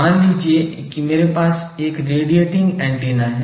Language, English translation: Hindi, That is suppose I have a radiating antenna